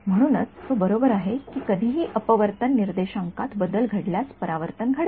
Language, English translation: Marathi, So, he is right that reflection will happen anytime there is a change in refractive index right